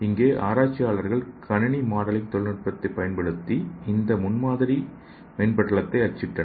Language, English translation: Tamil, so here researchers used a computer modeling technology and printed this prototype membrane